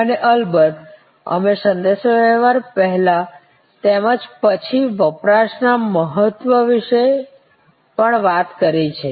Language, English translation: Gujarati, And of course, we have also talked about the importance of communication pre as well as post consumption